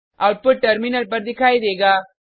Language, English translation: Hindi, The following output is displayed on the terminal